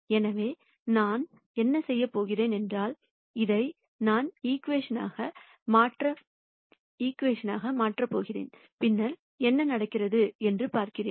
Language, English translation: Tamil, So, what I am going to do is, I am going to simply substitute this into the equation and then see what happens